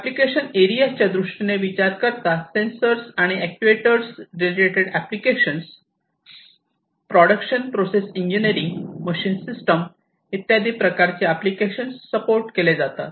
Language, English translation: Marathi, So, in terms of application areas sensor actuated applications machine system production process engineering all these sorts of applications are supported